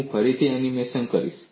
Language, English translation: Gujarati, I will do the animation again